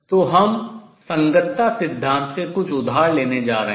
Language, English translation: Hindi, So, we are going to borrow something from correspondence principle